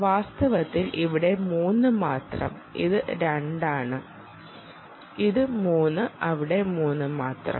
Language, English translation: Malayalam, so this is one, this is two and this is three